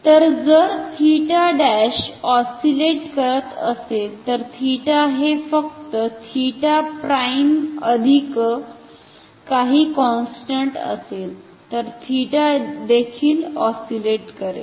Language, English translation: Marathi, So, if theta prime is oscillating then theta is just theta prime plus some constant, so theta will also be oscillating